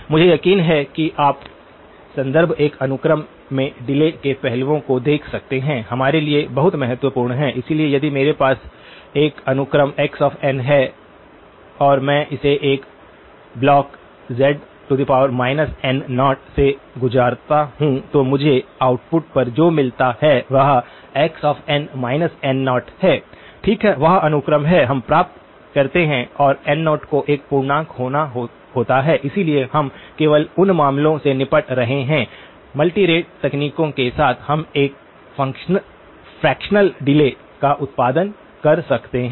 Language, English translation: Hindi, I am sure you can look up the references, the aspects of delaying a sequence; very, very important for us, so if I have a sequence x of n and I pass it through a block z power minus n naught then what I get at the output is x of n minus n naught, okay that is the sequence that we get and n naught has to be an integer, so we only are dealing with those cases of course, with multi rate techniques we can produce a fractional delays